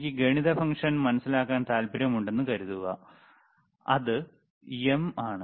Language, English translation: Malayalam, Suppose I want to understand the math function, which is see MM, is the math function right